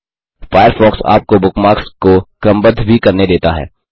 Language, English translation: Hindi, Firefox also allows you to sort bookmarks